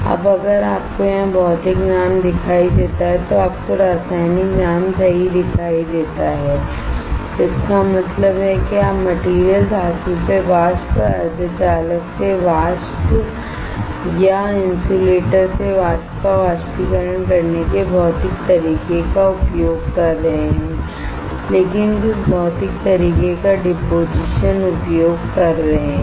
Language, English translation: Hindi, Now if you see the name physical right here you see the name chemical right; that means, that you are using a physical way of evaporating the material from metal to vapor semiconductor to vapor or insulator to vapor, but using some physical way of deposition